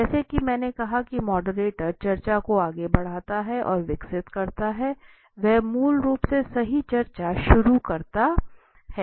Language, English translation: Hindi, As I said the moderator leads and develops the discussion, he initiate the discussions basically right